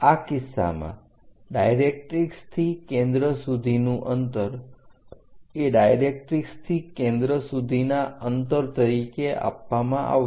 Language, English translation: Gujarati, In this case, the distance of focus from the directrix will be given distance of focus from the directrix